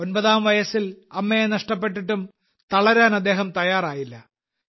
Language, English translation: Malayalam, Even after losing her mother at the age of 9, she did not let herself get discouraged